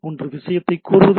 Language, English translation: Tamil, One is that requesting the thing